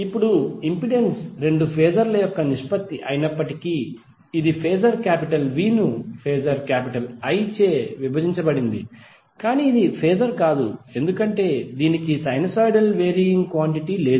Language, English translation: Telugu, Now although impedance is the ratio of two phasor, that is phasor V divided by phasor I, but it is not a phasor, because it does not have the sinusoidal varying quantity